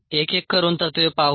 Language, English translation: Marathi, let us see the principles one by one